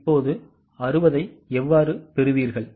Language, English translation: Tamil, Now how will you get the 60